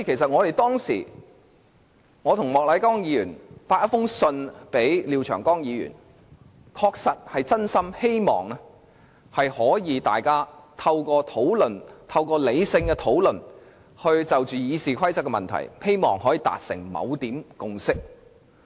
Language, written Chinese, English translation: Cantonese, 我和莫乃光議員曾致函廖長江議員，確實是真心希望大家可以透過理性討論，就修訂《議事規則》的問題達成共識。, At one point Mr Charles MOK and I wrote to Mr Martin LIAO and it was indeed our sincere wish that all parties could reach a consensus on the issue of amending RoP